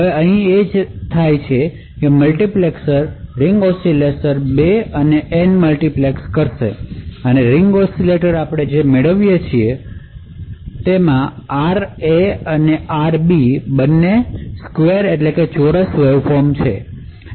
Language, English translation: Gujarati, Now what is done over here is that there is a multiplexers to multiplex the ring oscillator 2 and the ring oscillator N therefore what we obtain is RA and RB both are square waveforms